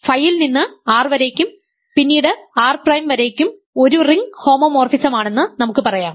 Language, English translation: Malayalam, So, let us say phi from R to R prime is a ring homomorphism